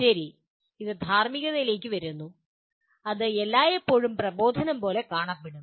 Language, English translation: Malayalam, Well, it comes to ethics, it will always looks like sermonizing